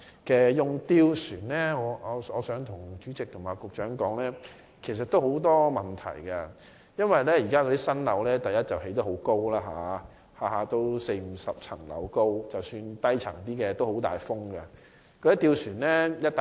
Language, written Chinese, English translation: Cantonese, 就使用吊船方面，我想告訴主席和局長，其實會有很多問題，因為第一，現在新建樓宇很高，一般有四五十層樓，即使低層風亦很大。, I also wish to tell the President and the Secretary that many problems will occur when gondolas are used . First new buildings are very tall generally with 40 to 50 storeys and the wind is strong even around the lower storeys